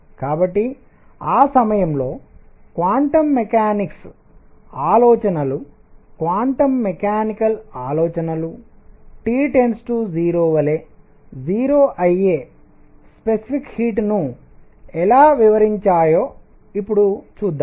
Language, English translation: Telugu, So, let us see now, how quantum mechanics ideas quantum mechanical ideas at that time explained the specific heat going to 0 as T goes to 0